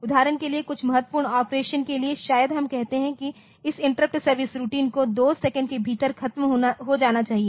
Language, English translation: Hindi, For example, for some critical operation maybe we say that this interrupt service routine should be over within 2 second